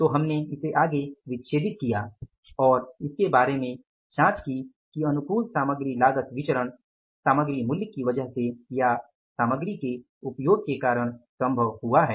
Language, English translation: Hindi, Then we further dissected and tried to inquire about it that whether it has been possible favorable material cost variance because of the material price or because of the material usage